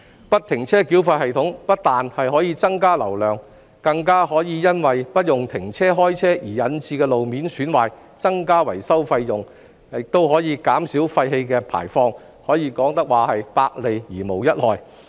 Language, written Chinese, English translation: Cantonese, 不停車繳費系統不但可增加交通流量，還可避免因停車/開車而引致的路面損壞，減少維修費用，更可減少廢氣排放，可說是百利而無一害。, FFTS not only can increase the traffic flow but can also avoid road surface damage caused by the constant startstop of vehicles thus reducing the maintenance cost as well as emission